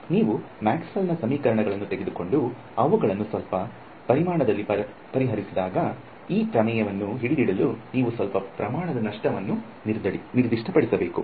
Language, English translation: Kannada, When you take Maxwell’s equations and solve them over some volume, you will find that you need to specify some tiny amount of loss for this theorem to hold to, practically this loss can be really really small